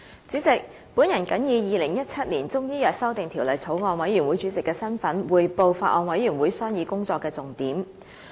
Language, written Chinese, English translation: Cantonese, 主席，我謹以《2017年中醫藥條例草案》委員會主席的身份，匯報法案委員會商議工作的重點。, President in my capacity as Chairman of the Bills Committee on Chinese Medicine Amendment Bill 2017 I now report on the major deliberations of the Bills Committee